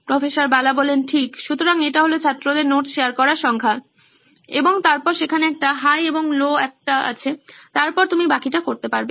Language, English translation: Bengali, Right, so it’s the student’s number of notes shared and then there is a high and there is a low, and then you can do the rest